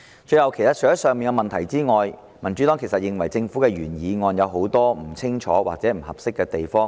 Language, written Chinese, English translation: Cantonese, 最後，除了上述的問題外，民主黨認為《條例草案》有很多不清楚或不合適的地方。, Lastly in addition to the problems mentioned above the Democratic Party considers that there are many unclear and inappropriate provisions in the Bill